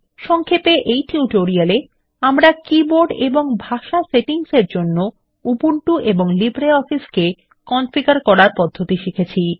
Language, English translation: Bengali, In this tutorial, We learnt how to configure Ubuntu and LibreOffice for keyboard and language settings